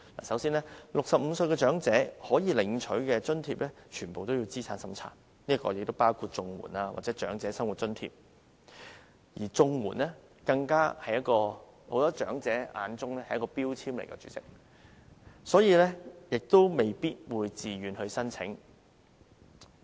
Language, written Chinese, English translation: Cantonese, 首先 ，65 歲長者可領取的津貼全部需要資產審查，包括綜合社會保障援助和長者生活津貼，而在很多長者眼中，綜援更是一個標籤，未必會自願申請。, Allowances available to elderly aged 65 or above such as the Comprehensive Social Security Assistance CSSA and the Old Age Living Allowance OALA all require a means test . Besides many elderly people may not apply for CSSA voluntarily as it is a stigma in their eyes